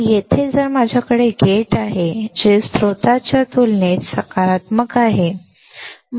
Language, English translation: Marathi, So, here if I have gate which is positive compared to source